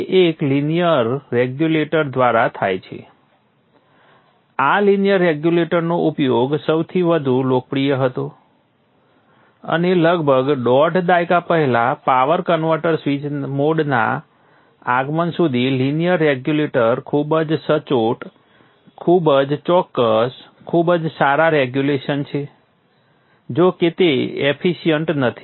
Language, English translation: Gujarati, We use linear regulators for the most popular and in the advent of the switched mode power converters some 15 years one and off to two decades ago the linear regulators are very accurate very precise very good regulation however they are not efficient